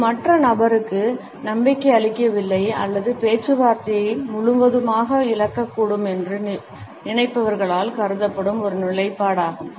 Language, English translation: Tamil, It is also a position which is assumed by those who feel that they are either not convincing to the other person or think that they might be losing the negotiation altogether